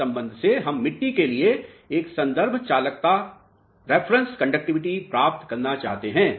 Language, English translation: Hindi, From this relationship we want to obtain one reference conductivity for the soil mass